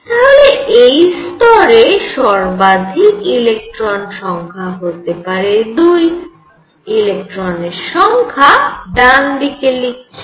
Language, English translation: Bengali, So, maximum number of electrons let us write on the right number of electrons in this level could be 2 right